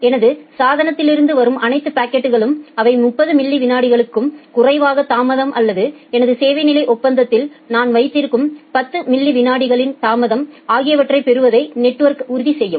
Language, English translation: Tamil, Then the network will ensure that all the packets of my which as coming from my devices, they will get less than 30 millisecond of delay or the 10 milliseconds of delay that I have on my service level agreement